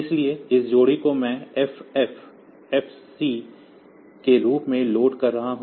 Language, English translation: Hindi, So, this pair I am loading as FF FC